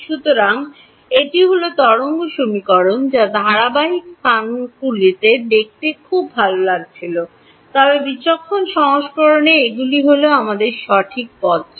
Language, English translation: Bengali, So, this is what are wave equation which was very nice to look at in continuous coordinates, but in the discretize version these are all the terms that we did right